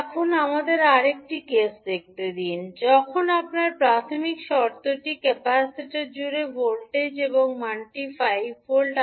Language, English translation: Bengali, Now, let us see another case, when you have the initial condition that is voltage V across the capacitor and the value is 5 volts